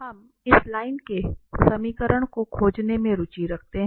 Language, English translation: Hindi, So, we are interested to find the equation of this line